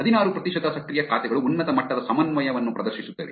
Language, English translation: Kannada, 16 percent of the active accounts exhibit a high degree of co ordination